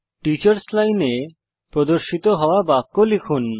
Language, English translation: Bengali, Let us type the sentence displayed in the Teachers line